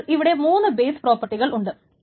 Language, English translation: Malayalam, There are three base properties